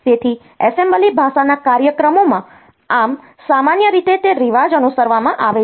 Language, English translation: Gujarati, So, in assembly language programs so, normally that is the custom followed